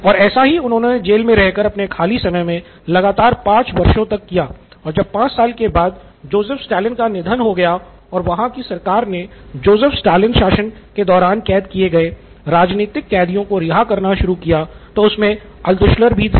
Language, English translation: Hindi, So he worked on this in the spare time in the prison and 5 years later, the prison’s period was 5 years about 5 years and at the end of 5 years, Joseph Stalin passed away and they started releasing political prisoners from the Joseph Stalin regime and Altshuller was one of them